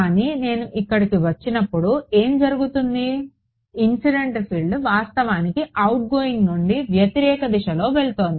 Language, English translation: Telugu, But when I come here what is happening, incident field is actually going in the opposite direction from outgoing